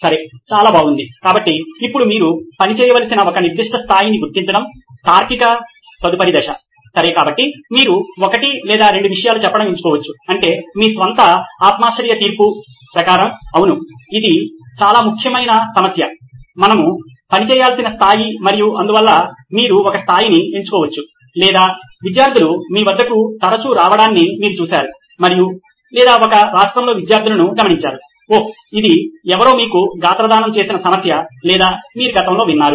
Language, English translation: Telugu, Okay, so good so now the logical next step is to identify a particular level at which you have to operate, okay so you can pick saying one or two things is that you see that according to your own subjective judgment that yes this is a very important problem a level at which we have to work and so you can pick one level like that or you have seen students come often to you and or you have observed students in a state where oh yeah this is a problem somebody has voiced it to you or you have heard it in the past